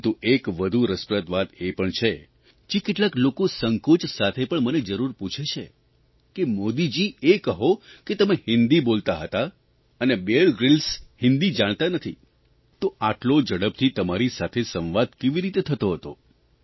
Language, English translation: Gujarati, But there is another interesting thing, some people ask me one thing albeit with some hesitation Modi ji, you were speaking in Hindi and Bear Grylls does not know Hindi, so how did you carry on such a fast conversation between the two of you